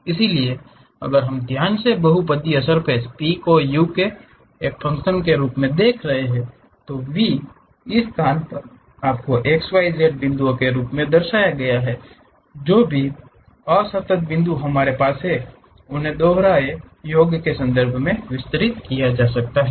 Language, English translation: Hindi, So, if we are looking at that carefully the polynomial surface P as a function of u, v represented in terms of your x, y, z points throughout this space whatever those discrete points we have can be expanded in terms of double summation